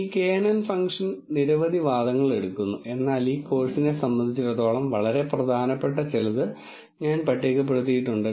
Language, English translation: Malayalam, This knn function takes several arguments but I have listed few which are very important as far as this course is concerned